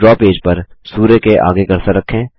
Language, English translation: Hindi, On the draw page, place the cursor next to the sun